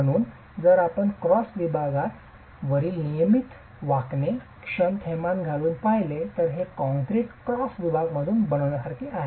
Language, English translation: Marathi, So, if you look at regular bending, sagging moments on the cross section, it's very similar to what a reinforced concrete cross section would be